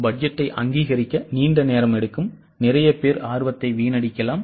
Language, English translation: Tamil, It takes a long time to approve the budget and there may be a lot of people having wasted interests